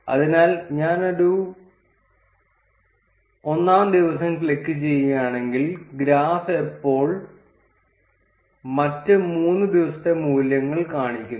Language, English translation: Malayalam, So, if I click on day one, the graph now shows the values for 3 other days